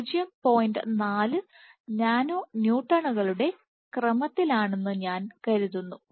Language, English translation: Malayalam, 4 nano Newtons